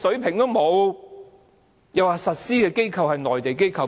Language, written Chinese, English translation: Cantonese, 它又說實施的機構是內地機構。, It also said that the Mainland authorities would be responsible for enforcement